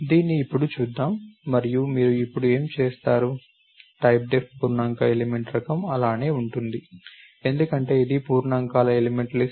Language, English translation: Telugu, Let us look at this now and what will you see now, what is the typedef int element type prevents the same, because this is a list of integer elements